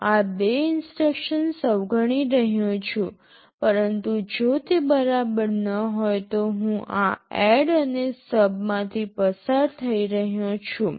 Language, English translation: Gujarati, I am skipping these two instructions, but if it is not equal then I am going through this ADD and SUB